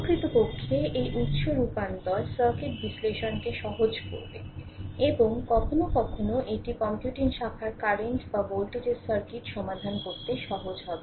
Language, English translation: Bengali, Actually this source transformation will your, simplify the circuit analysis; and sometimes it is easy to solve the, you know circuit of computing branch current or voltage or whatsoever